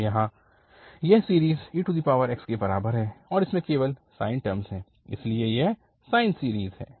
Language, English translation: Hindi, So, this series here is equal to e power x and it has only the sine terms, so this is, this sine series